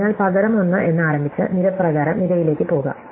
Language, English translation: Malayalam, So, we could instead start with 1 and go column by column, right